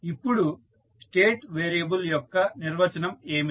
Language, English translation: Telugu, Now, what is the definition of the state variable